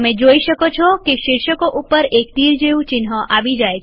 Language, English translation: Gujarati, You see that an arrow mark appears on the headings